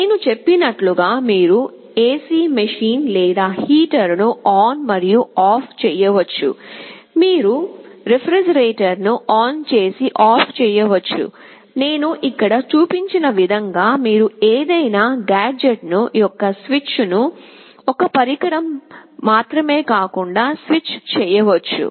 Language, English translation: Telugu, You can switch ON and OFF an AC machine or a heater as I told, you can switch ON and OFF a refrigerator, you can switch ON a switch of any gadget not only one device as I have shown here you can have multiple such devices